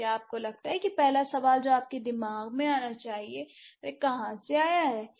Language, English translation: Hindi, So, do you think the first question that should come to your mind, where has it come from